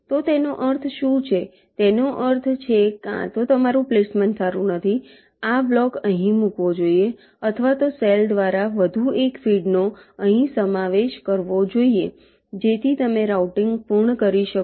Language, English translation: Gujarati, so what it means is that means either your placement is not good this block should have been placed here or means one more feed through cell should have been included here so that you can completes routing